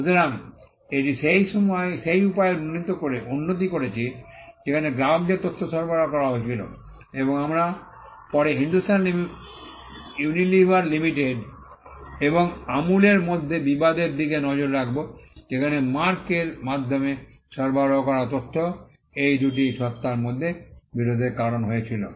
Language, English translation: Bengali, So, it improved the way, in which information was supplied to the customers and we will later on look at the dispute between Hindustan Unilever Limited and Amul where, the fact that information supplied through the mark led to dispute between these two entities